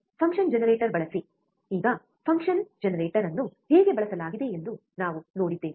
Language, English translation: Kannada, Use function generator, now function generator we have seen how function generator is used, right